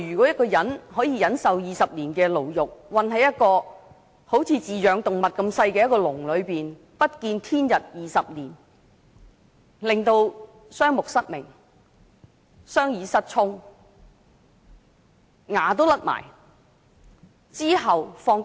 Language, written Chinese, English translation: Cantonese, 一個人可以忍受20年牢獄，被困在好像飼養動物般細小的籠中，不見天日20年，以致雙目失明，雙耳失聰，牙齒脫落，其後獲釋。, He endured 20 years of imprisonment and was locked in a small pet cage . All these years he was not allowed to see daylight and he became blind . He lost his hearing his teeth fell off and then he was released